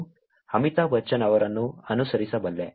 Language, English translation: Kannada, I can follow Amitabh Bachchan